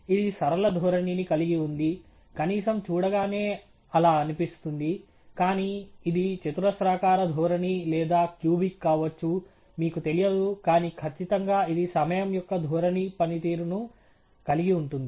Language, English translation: Telugu, It has a linear trend, atleast prima facie, but it could be a quadratic trend or a cubic one, you do not know, but definitely it has a trend function of time